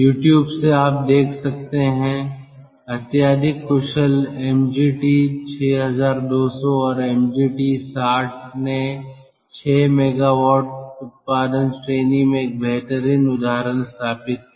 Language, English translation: Hindi, now what i like to do is that from youtube you can see inside the highly efficient mg t sixty one hundred and mg t sixty set a milestone in the six mega watt output glass